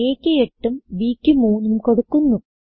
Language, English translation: Malayalam, I enter a as 8 and b as 3